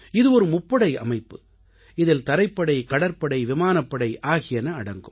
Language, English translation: Tamil, It is a Triservices organization comprising the Army, the Navy and the Air Force